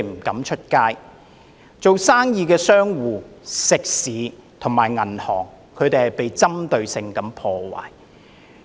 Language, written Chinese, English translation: Cantonese, 經營生意的商戶、食肆及銀行遭到針對性破壞。, Businesses restaurants and banks have fallen prey to targeted attacks